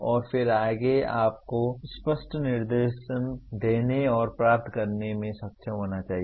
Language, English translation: Hindi, And then further you should be able to give and receive clear instructions